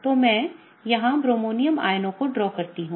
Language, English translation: Hindi, So, let me draw the two bromonium ions here